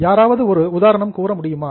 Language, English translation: Tamil, Can somebody think of the example